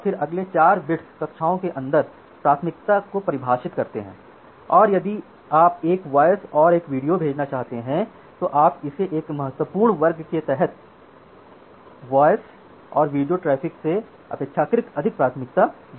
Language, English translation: Hindi, Then the next 4 bits it actually defines the priority inside the classes for example, if you want to send voice video voice and streaming video simultaneously, you can use it under this critical class and under the critical class you can again relatively prioritize a voice give more priority to voice over the video traffic